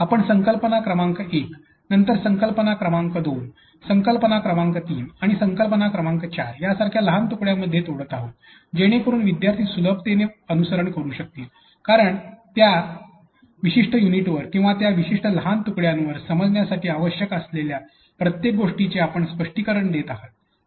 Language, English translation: Marathi, Then, we are breaking it into a smaller pieces like concept number 1, then concept number 2, concept number 3 and concept number 4 which implies therefore, that the student will be able to follow us on much more easily because you are explaining each and everything that is required to be understood on that particular unit or that particular small a piece